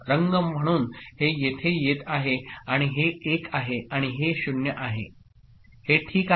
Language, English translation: Marathi, So, this 1 comes here and this 0 will come over here and this 1 will come over there ok